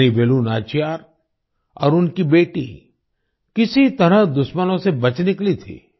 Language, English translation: Hindi, Queen Velu Nachiyar and her daughter somehow escaped from the enemies